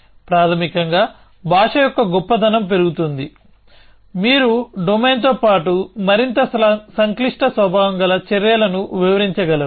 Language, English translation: Telugu, Basically, the richness of the language increases, you are able to describe the domain as well as actions of more complex nature